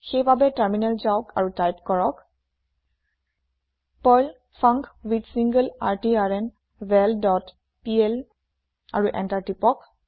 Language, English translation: Assamese, So, switch to terminal and type perl funcWithSingleRtrnVal dot pl and press Enter